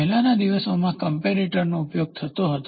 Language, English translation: Gujarati, The earlier days they used comparator